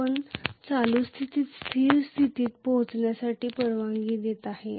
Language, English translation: Marathi, You are not allowing the current to reach the steady state